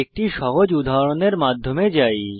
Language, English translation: Bengali, Let us go through a simple example